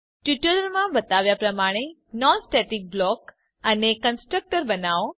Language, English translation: Gujarati, Create a non static block and a constructor as shown in the tutorial